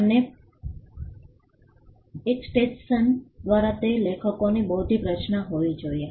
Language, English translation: Gujarati, And by extension it should have been the authors intellectual creation